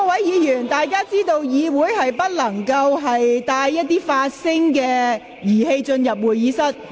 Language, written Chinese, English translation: Cantonese, 議員應知道，議員不得攜帶任何發聲裝置進入會議廳。, Members should know that they are not allowed to bring any sound device into the Chamber